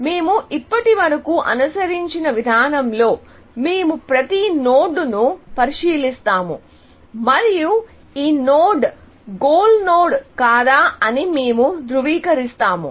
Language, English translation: Telugu, So, in the approach that we have followed so far, we will consider every node and ask, whether this node is a goal node or not, essentially